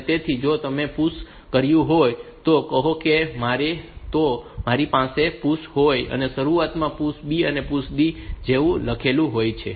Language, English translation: Gujarati, So, if you have pushed like say if you have if you have pushed like say PUSH at the beginning you have written like PUSH B PUSH D